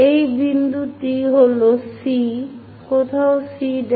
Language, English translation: Bengali, This point is C, somewhere C prime